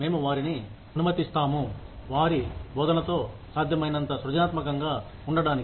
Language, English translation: Telugu, We let them be, as creative with their teaching, as possible